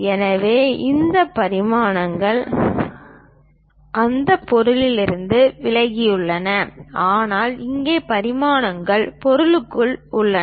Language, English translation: Tamil, So, these dimensions are away from that object, but here the dimensions are within the object